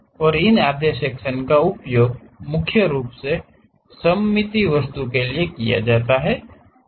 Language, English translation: Hindi, And, these half sections are used mainly for symmetric objects